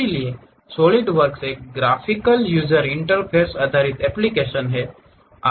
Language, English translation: Hindi, So, Solidworks is a graphical user interface based application